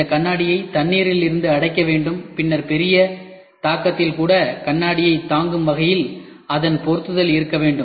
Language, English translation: Tamil, Then this mirror has to be sealed from water, then the mirror should also the fixation should be such a way such that the mirror is withstood even on major impact